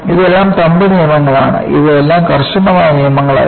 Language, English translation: Malayalam, These are all Thumb Rules; these are all not rigid rules